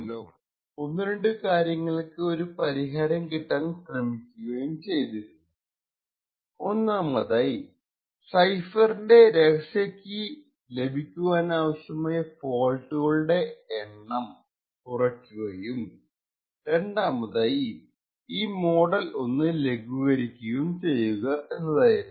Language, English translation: Malayalam, So in the past people have actually studied this problem and they have tried to find out solutions by which firstly we can reduce the number of faults that are required to obtain the secret key of the cipher and 2nd also relax default model